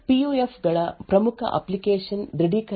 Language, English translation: Kannada, A major application for PUFs is for authentication